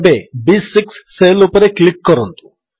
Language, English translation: Odia, Now click on the cell B6